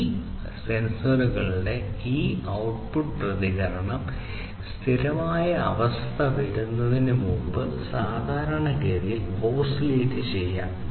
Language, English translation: Malayalam, And this output response of these sensors will typically oscillate before the steady state right